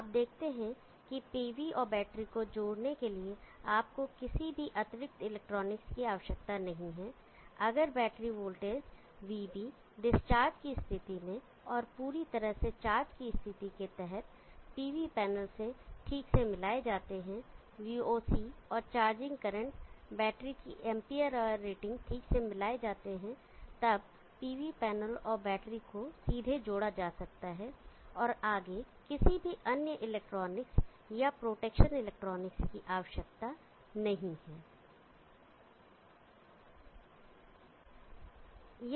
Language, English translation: Hindi, So this region automatically behaves as a float charge as a trickle charge region you see that you don’t need any extra electronic at all to connect pv and the battery if the battery voltages VB under discharge condition and as under fully charge condition or matched properly with the pv panel VOC and the charging current or matched properly amp power rating of battery then the pv panel and the battery can be directly connected and there is no need of any other further electronic or potation electronic